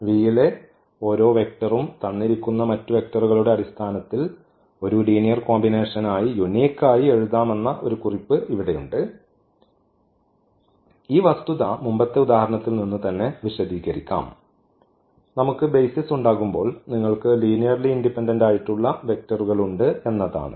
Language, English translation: Malayalam, Just a note here that every vector in V can be written uniquely as a linear combination of the basis of vectors and this fact also we can explain from the previous example itself, that when we have the base is there; the basis means you are linearly independent vectors